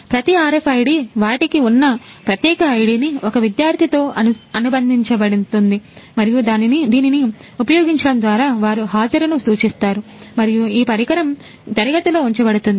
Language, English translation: Telugu, So, each RFID their unique ID will be associated to one student and using this they will mark attendance and this device will be placed in the class